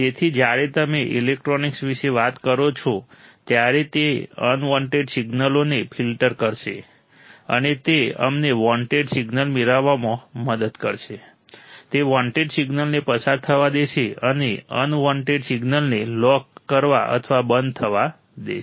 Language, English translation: Gujarati, So, it will filter out the unwanted signals when you talk about electronics, and it will help us to get the wanted signals, it will allow the wanted signal to pass, and unwanted signal to lock or stop